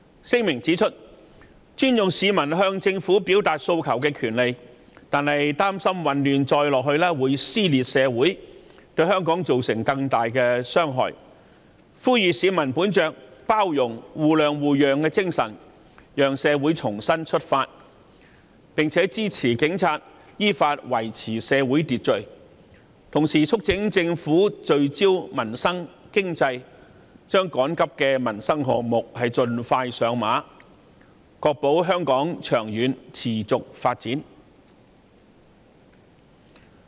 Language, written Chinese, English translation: Cantonese, 聲明指出，尊重市民向政府表達訴求的權利，但擔心混亂再下去會撕裂社會，對香港造成更大的傷害，呼籲市民本着包容、互諒互讓的精神，讓社會重新出發，並支持警察依法維持社會秩序；同時促請政府聚焦民生、經濟，將趕急的民生項目盡快上馬，確保香港長遠持續發展。, In the statement we point out that while we respect the peoples right to express their aspirations to the Government we are worried that if the chaotic situation persists social dissension may cause great harm to Hong Kong . We urge members of the public to be more tolerant and accommodating so that Hong Kong can start anew . We also express our support to the Police to maintain public order according to the law